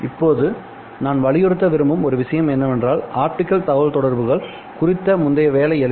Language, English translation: Tamil, Now one thing which I would like to emphasize is that optical communications earlier were quite simple